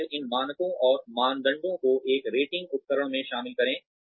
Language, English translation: Hindi, And, then incorporate these standards and criteria, into a rating instrument